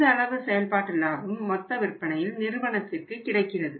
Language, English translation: Tamil, This much of the operating profit on the total annual sales is available to the company